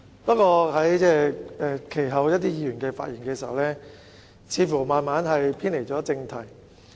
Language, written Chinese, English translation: Cantonese, 不過，一些議員其後在發言中似乎慢慢偏離正題。, However some Members appeared to have gradually deviated from the question in their speeches